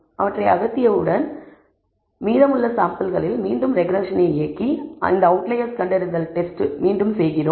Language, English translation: Tamil, Once we remove that we again run a regression on the remaining samples, and again run this outlier detection test